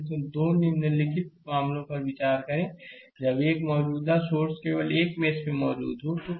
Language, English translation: Hindi, So, we have to consider 2 following cases when a current source exist only in one mesh; that is figure